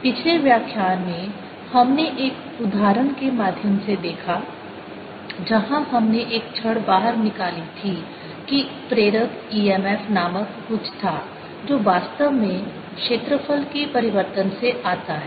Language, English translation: Hindi, in this previous lecture we saw through an example where we moved a rod out that there was something further motional e m f which actually comes from change of area